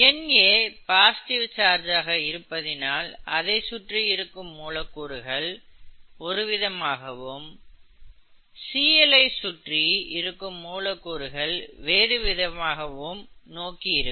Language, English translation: Tamil, Na is positively charged and therefore a certain orientation happens to the molecules of water that surround it which is different from the orientation that happens to the molecules of Cl that surrounds it, okay